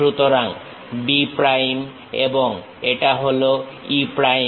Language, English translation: Bengali, So, B prime and this is E prime